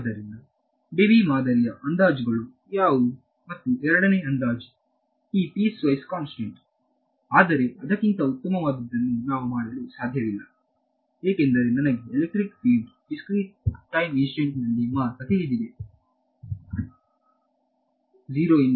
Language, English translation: Kannada, So, what are the approximations basically Debye model and second approximation is this piecewise constant, but that is there is no choice we cannot do anything better than that because I know electric field only at discrete time instance I do not know it everywhere